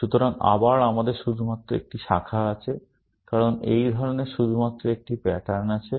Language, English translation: Bengali, So, again, we have only one branch, because there is only one pattern of this kind